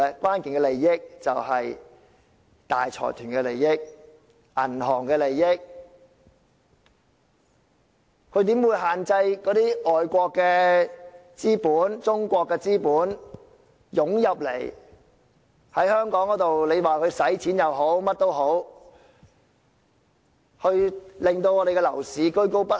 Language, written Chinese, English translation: Cantonese, 關鍵利益便是大財團和銀行的利益，它怎會限制外國或中國的資本湧進香港——不管是消費或作其他用途——以免香港的樓市居高不下？, Its key interest is the interest of major consortiums and banks . So how possibly will it restrict capital from overseas or China from flowing into Hong Kong―whether for consumer spending or other purposes―in order that the property market of Hong Kong will not remain on the high side?